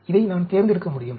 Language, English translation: Tamil, So, I can select this, I can select this